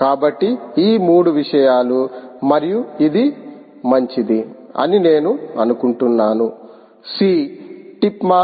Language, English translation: Telugu, so these three things and yeah, i think this is fine c is tip mass